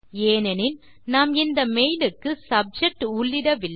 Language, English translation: Tamil, This is because we did not enter a Subject for this mail